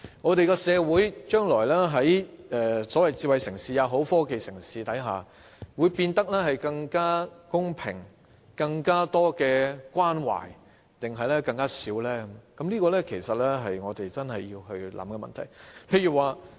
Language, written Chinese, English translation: Cantonese, 我們的社會將來無論成為所謂的智慧城市或科技城市，將會變得更公平，有更多關懷，還是反之，其實是我們真正要考慮的問題。, Whether our society will become a so - called smart city or technological city and become fairer and more caring or the opposite is in fact the question we truly have to consider